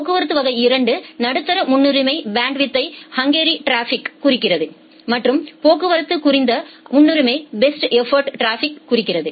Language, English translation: Tamil, The traffic class 2 denotes the medium priority bandwidth hungry traffic and the traffic class denote the low priority best effort traffic